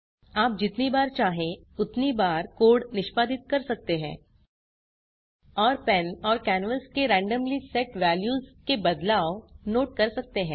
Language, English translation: Hindi, You can execute the code how many ever times you want and note the changes in the randomly set values of the pen and canvas